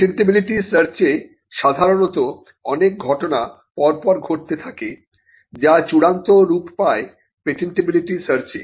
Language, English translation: Bengali, Now, in a patentability search, there are a series of events that normally happens which culminates into a patentability search